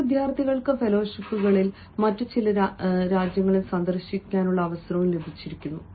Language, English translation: Malayalam, then some, some students also get a chance are to visit some other countries and fellowships